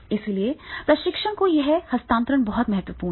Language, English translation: Hindi, So therefore this transfer of training is becoming very, very important